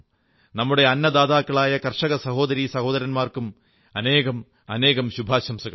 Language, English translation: Malayalam, Best wishes to our food providers, the farming brothers and sisters